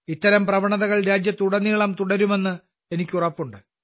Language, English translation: Malayalam, I am sure that such trends will continue throughout the country